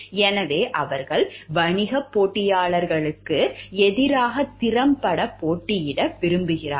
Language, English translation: Tamil, So, because they want to compete effectively against business rivals